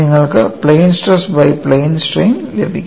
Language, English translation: Malayalam, You will get from plane stress to plain strain